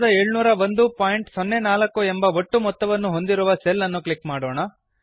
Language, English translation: Kannada, Let us click on the cell with the total 9701.04